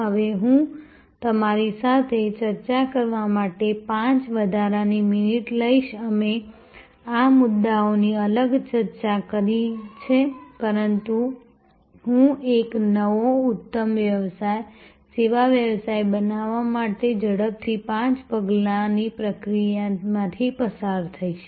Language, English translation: Gujarati, Now, I will take you may be 5 extra minutes to discuss with you we have discussed these points separately, but I will quickly go through five step process for creating a new excellent service business